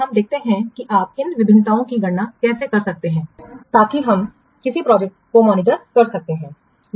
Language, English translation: Hindi, So let's see how you can compute these variances so that we can monitor the progress of a project